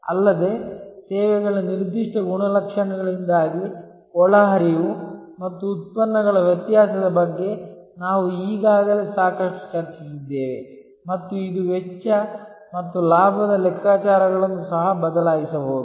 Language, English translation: Kannada, Also, we have already discussed a lot about the variability of inputs and outputs due to the particular characteristics of the services and this can also change the cost and benefit calculations